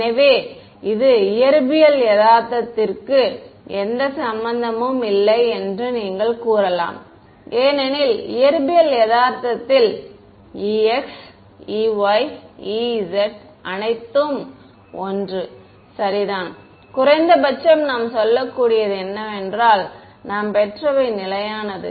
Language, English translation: Tamil, So, this is, you can say that this has no relevance to physical reality because, in physical reality e x, e y, e z are all 1 right, at least what we can say is that what we have derived is consistent right